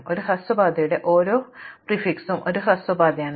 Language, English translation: Malayalam, So, every prefix of a shortest path is itself a shortest path